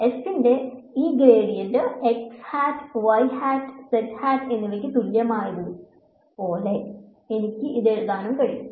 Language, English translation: Malayalam, I can as well write it as like this gradient of f is equal to x hat, y hat and z hat